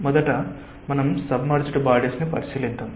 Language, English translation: Telugu, let us say that first we consider submerged bodies